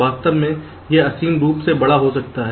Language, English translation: Hindi, in fact it can be infinitely large